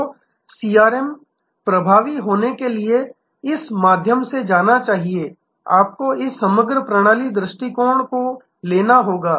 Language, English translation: Hindi, So, CRM to be effective must go through this, you have to take this holistic systems approach